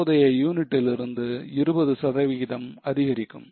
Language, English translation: Tamil, From the current units there is an increase of 20%